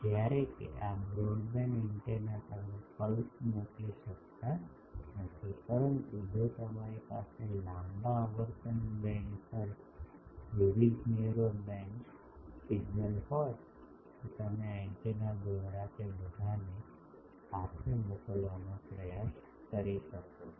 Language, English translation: Gujarati, Whereas, these broadband antennas you could not send a pulse, but if you have various narrow band signals over a long frequency band you can try to send all of them together through these antenna